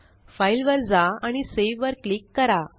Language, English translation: Marathi, Go to File and click on Save